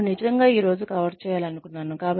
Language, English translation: Telugu, I really wanted to cover this today